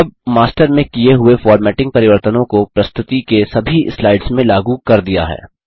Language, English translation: Hindi, The formatting changes made in the Master are applied to all the slides in the presentation now